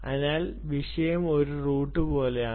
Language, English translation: Malayalam, so topic is like a route